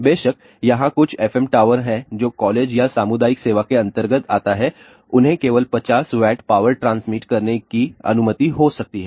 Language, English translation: Hindi, Of course, there are some fm towers which are there inside let us say colleges or community services there there may be allowed only to transmit 50 watt of power